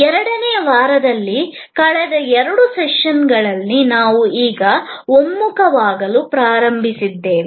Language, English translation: Kannada, In the second week, in the last couple of sessions, we are now have started to converge